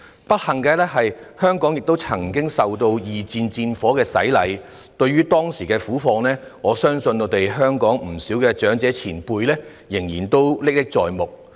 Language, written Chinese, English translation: Cantonese, 不幸的是，香港亦曾經受到二戰戰火的洗禮，對於當時的苦況，我相信香港不少長者前輩依然歷歷在目。, Unfortunately Hong Kong has also experienced World War II and I believe many of our predecessors in Hong Kong still remember vividly the sufferings back then